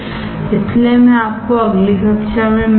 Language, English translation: Hindi, So, I will see you in the next class